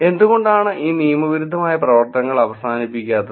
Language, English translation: Malayalam, So, why these illegal practices are not being stopped